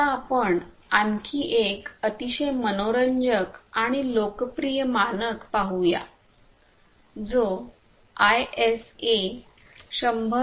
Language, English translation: Marathi, Now, let us look at another very interesting and popular standard which is known as the ISA 100